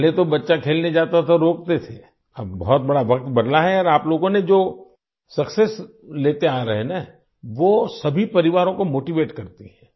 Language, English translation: Hindi, Earlier, when a child used to go to play, they used to stop, and now, times have changed and the success that you people have been achieving, motivates all the families